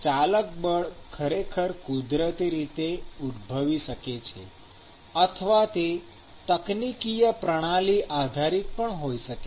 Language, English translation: Gujarati, The driving force may be naturally created or it may be engineered depending upon the system